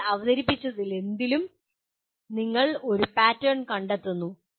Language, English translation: Malayalam, In whatever you are presented you are finding a pattern